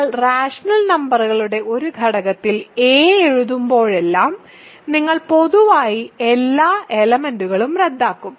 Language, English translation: Malayalam, So, whenever you write a in a element of rational numbers, you cancel all common factors